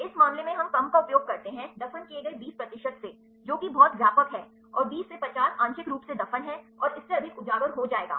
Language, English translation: Hindi, In this case we use less than 20 percent buried that is very wide, and 20 to 50 as partially buried and more than will be exposed